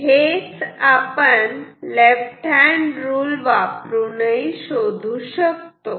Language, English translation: Marathi, So, I am applying left hand rule